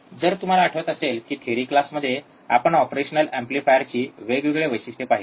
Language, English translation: Marathi, So, if you remember, in the in the theory class we have seen, several characteristics of an operational amplifier